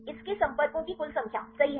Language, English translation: Hindi, Its total number of contacts right